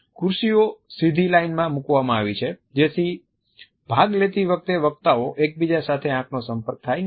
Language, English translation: Gujarati, But the chairs have been put in a straight line so, that the speakers are unable to have any eye contact with each other while they are participating